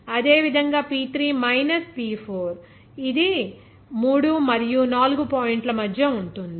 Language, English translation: Telugu, Similarly, for others P3 minus P4, it will be between 3 points and 4 points